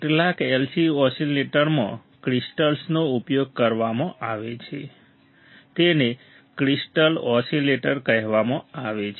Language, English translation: Gujarati, In some oscillators, crystals are used, and these oscillators are called crystal oscillators